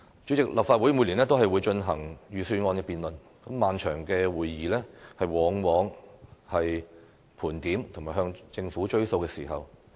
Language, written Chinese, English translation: Cantonese, 主席，立法會每年都進行預算案辯論，漫長的會議往往是盤點及要求政府兌現承諾的時候。, President the Legislative Council holds a debate on the Budget each year . During the prolonged meetings we usually list out our requests and ask the Government to deliver on its promises